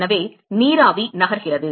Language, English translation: Tamil, So, vapor is moving